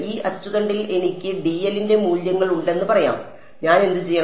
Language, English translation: Malayalam, It says that let us say on this axis I have values of dl and what do I do